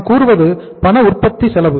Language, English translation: Tamil, This is the cash manufacturing cost